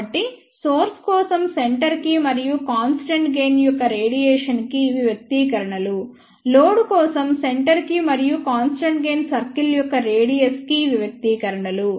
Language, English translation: Telugu, So, these are the expressions for centre and radius of constant gain for source, these are the expressions for centre and radius of constant gain circle for load